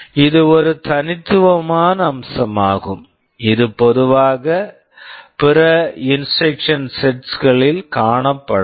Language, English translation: Tamil, This is a unique feature that we normally do not see in other instruction sets